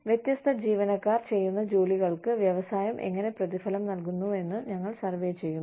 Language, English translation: Malayalam, We survey, how the industry is paying different employees, for the kinds of work, they do